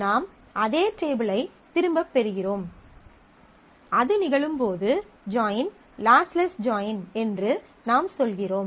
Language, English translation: Tamil, I get back the same table and when that happens, I say that the join is lossless